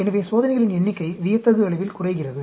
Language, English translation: Tamil, So, number of experiments goes down dramatically